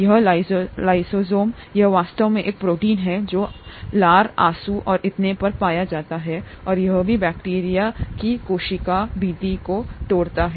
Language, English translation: Hindi, This lysozyme, itÕs actually a protein that is found in saliva, tears and so on; and it also breaks down the cell wall of bacteria